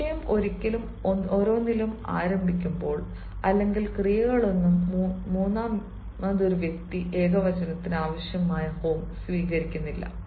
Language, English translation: Malayalam, when the subject begins with each of either of, neither of the verb will take the form required by third person singular